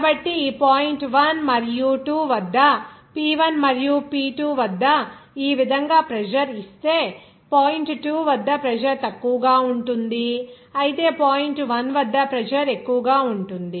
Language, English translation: Telugu, So, that is why if pressure is given like this at P1 and P2 at this point 1 and 2, you will see that at point 2, pressure will be lower whereas at point 1, pressure will be higher